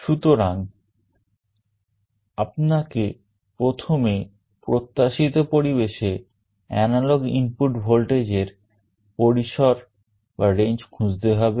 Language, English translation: Bengali, So, you will have to first find out the range of analog output voltage in the expected environment